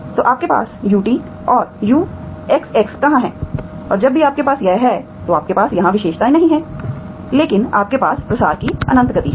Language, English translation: Hindi, So where you have UT, UXX you have any see that whenever you have this, you do not have characteristics here but you have infinite speed of propagation